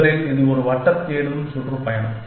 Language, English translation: Tamil, Originally, it was a circular looking tour